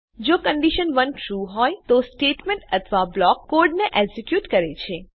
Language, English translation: Gujarati, If condition 1 is true, it executes the statement or block code